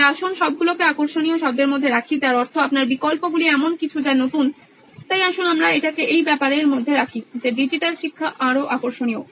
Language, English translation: Bengali, So let’s put all that down into the word of engaging meaning your options something that is coming as new so let’s put it all down into the fact that digital learning is more engaging